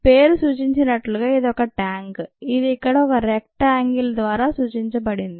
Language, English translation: Telugu, as the name suggests, it is a tank, which is represented by this rectangle here